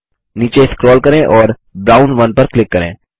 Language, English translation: Hindi, Scroll down and click on Brown 1